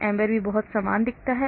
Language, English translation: Hindi, AMBER also looks very much similar